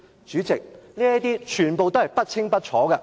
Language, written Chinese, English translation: Cantonese, 主席，這些問題全部不清不楚。, President all these questions have never been properly answered